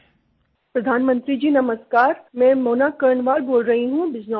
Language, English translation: Hindi, Prime Minister Namaskar, I am Mona Karnwal from Bijnore